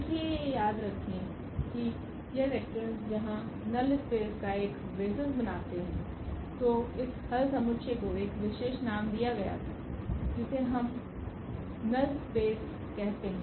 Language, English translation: Hindi, Therefore, these vectors form a basis of the null space here remember so, we call this solution set there was a special name which we call null space